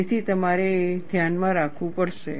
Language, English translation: Gujarati, So, you have to keep that in mind